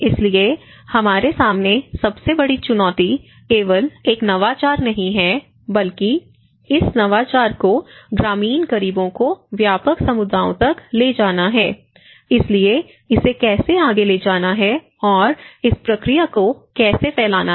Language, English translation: Hindi, So, in front of us, the biggest challenge is not just only an innovation but taking this innovation to the rural poor to the wider communities, okay so, how to take it further and how to diffuse this process